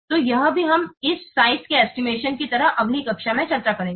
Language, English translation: Hindi, So that also we'll discuss in the next class like this size estimation